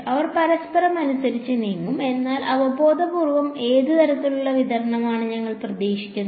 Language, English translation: Malayalam, They will move according to each other, but intuitively what kind of distribution do you expect